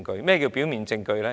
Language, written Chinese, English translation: Cantonese, 何謂表面證據呢？, What is meant by prima facie evidence?